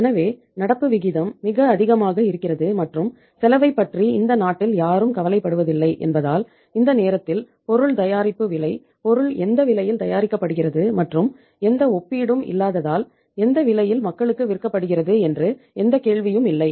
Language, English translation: Tamil, So were having the very high current ratio and since nobody bothers about the cost in this country, bothered at that time so it means there is no question on the cost of the product that at what uh cost the product is being manufactured and at what price it is being sold to the people because there was no comparison